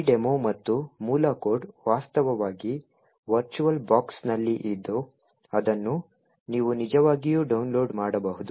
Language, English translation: Kannada, This demo and the source code is actually present in a virtualbox which you can actually download